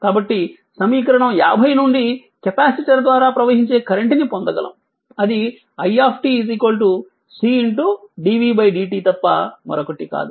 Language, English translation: Telugu, So, current through the capacitor is obtained from equation 50, that is nothing but i t is equal to C into dv by dt